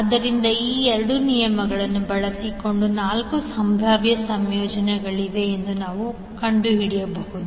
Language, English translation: Kannada, So, using these 2 rules, we can figure out that there are 4 possible combinations